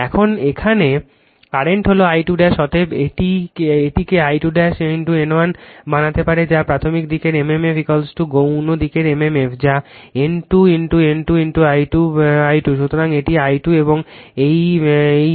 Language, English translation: Bengali, And current here is I 2 dash therefore, you can make it I 2 dash into N 1 that is mmf of the primary side is equal to mmf of the secondary side that is N 2 into your your N 2 into your I 2, right